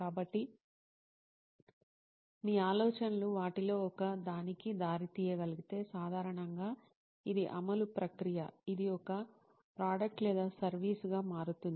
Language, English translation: Telugu, So if your ideas can lead to one of these, then usually this is the process of implementation, in it becoming a product or a service